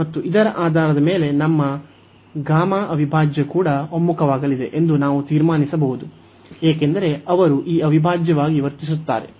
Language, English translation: Kannada, And based on this we can conclude that our gamma integral will also converge, because they will behave the same this integral